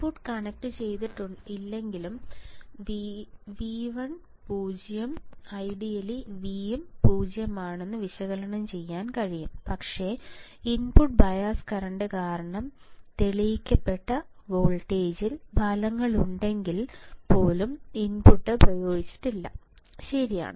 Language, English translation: Malayalam, It can be analyzed that if the input is not connected right V I equals to 0 ideally V equals to 0, but because of input bias current if the results in proved voltage even when there is no applied no input is applied, right